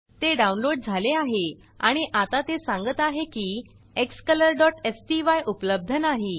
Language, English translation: Marathi, Alright, it downloaded that and now it says that xcolor.sty is missing